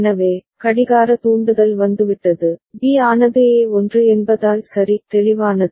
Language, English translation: Tamil, So, clock trigger has come B has changed because A is 1 – right, clear